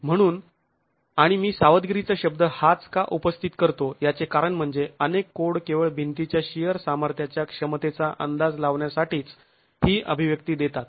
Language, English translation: Marathi, So, and the reason why I'm raising this word of caution is many codes give only this expression to estimate the shear capacity of a wall